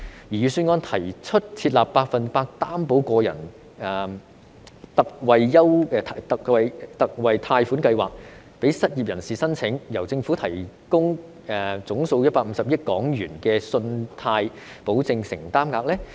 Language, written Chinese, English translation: Cantonese, 預算案提出設立百分百擔保個人特惠貸款計劃供失業人士申請，由政府提供總數150億元的信貸保證承擔額。, The Budget proposes the establishment of a 100 % Personal Loan Guarantee Scheme for the unemployed under which the Government will provide a total guarantee commitment of 15 billion